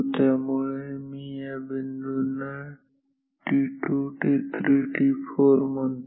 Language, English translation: Marathi, So, let me mark this points t 2 t 3 t 4